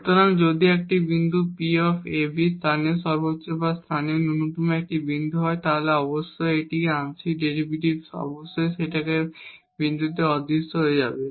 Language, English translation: Bengali, So, if a point a b is a point of local maximum or local minimum, then definitely these partial derivatives must vanish at that point